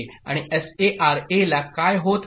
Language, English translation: Marathi, And what is happening to S